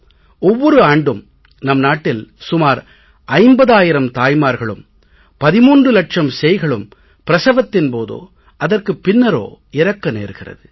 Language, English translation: Tamil, And it is true that in our country about 50,000 mothers and almost 13 lakh children die during delivery or immediately after it every year